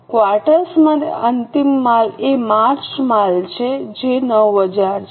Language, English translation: Gujarati, For the quarter the ending inventory is the March inventory that is 9,000